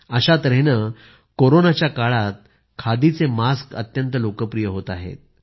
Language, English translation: Marathi, Similarly the khadi masks have also become very popular during Corona